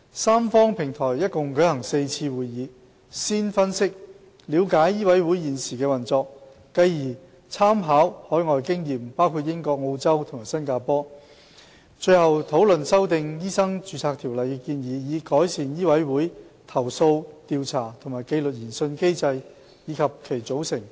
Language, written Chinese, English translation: Cantonese, 三方平台一共舉行了4次會議，先分析及了解醫委會現時的運作，繼而參考包括英國、澳洲和新加坡等海外經驗，最後討論修訂《醫生註冊條例》的建議，以改善醫委會的投訴調查和紀律研訊機制，以及其組成情況。, The tripartite platform has held a total of four meetings . It first had an analysis and understanding of the current operation of MCHK and then drew reference on overseas experiences including that of the United Kingdom Australia and Singapore; and finally it discussed the proposed amendments to the Ordinance to improve MCHKs complaint investigation and disciplinary inquiry mechanism as well as its composition